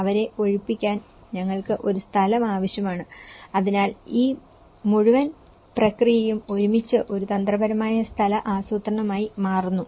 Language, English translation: Malayalam, We need a place, for keeping them this evacuated, so all this whole process together frames into a strategic spatial planning